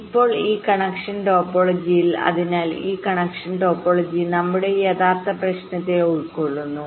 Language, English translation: Malayalam, so this connection topology will be doing embedding on our actual problem